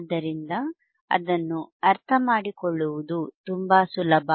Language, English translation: Kannada, So, it is very easy to understand